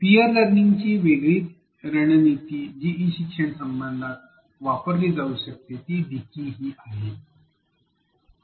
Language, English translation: Marathi, A different strategy for peer learning that one can use in an e learning context is wikis